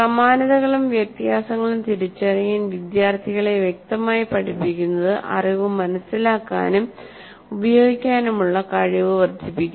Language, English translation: Malayalam, Explicitly teaching students to identify similarities and differences enhances their ability to understand and use knowledge